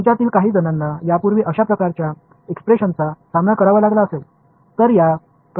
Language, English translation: Marathi, Some of you may have encountered such expressions earlier